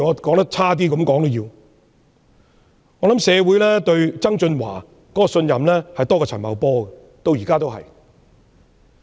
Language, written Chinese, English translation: Cantonese, 抱歉，我冒昧說一句，社會至今對曾俊華的信任仍較陳茂波多。, Forgive me for venturing to say that the community still trusts John TSANG more than Paul CHAN so far